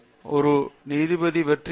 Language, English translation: Tamil, One judge is successful he is